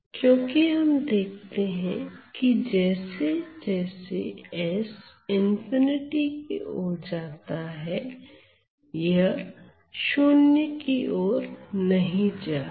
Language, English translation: Hindi, Because we see that this is not going to 0 as s goes to infinity